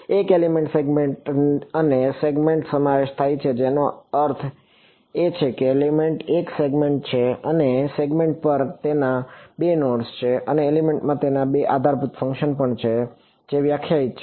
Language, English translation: Gujarati, An element consists of the segment and the segment I mean element is a segment and that segment has 2 nodes on it and the element also has two basis functions defined on it